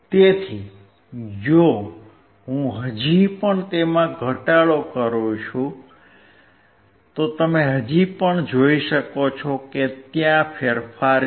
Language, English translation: Gujarati, So, if I still go on decreasing it, you can still see there is a change